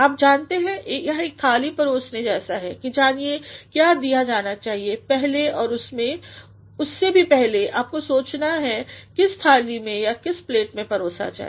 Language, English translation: Hindi, You know, this is just like serving a dish as to what should be given first know and even when even before that you should think how in which dish or in which plate it should be served